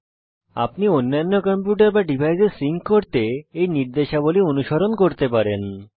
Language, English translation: Bengali, You can follow these instructions to sync your other computer or device